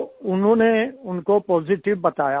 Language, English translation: Hindi, They said it was positive